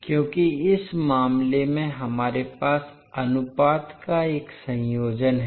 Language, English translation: Hindi, Because in this case we have a combination of ratios